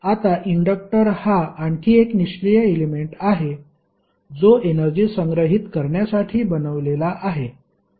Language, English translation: Marathi, Now, inductor is another passive element which is design to stored energy